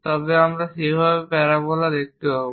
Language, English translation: Bengali, This is the way we construct a parabola